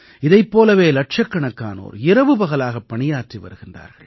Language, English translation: Tamil, Similarly, millions of people are toiling day and night